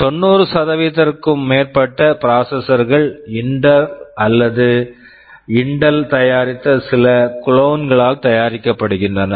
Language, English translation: Tamil, More than 90% of the processors are made by Intel or some clones of those made by Intel